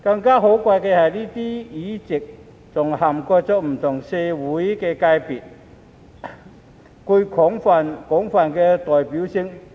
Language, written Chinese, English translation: Cantonese, 更可貴的是，這些議席還涵蓋不同的社會界別，具廣泛代表性。, More importantly these seats also cover a wide range of social sectors with broad representation